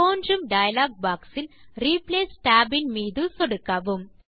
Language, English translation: Tamil, In the dialog box that appears, click on the Replace tab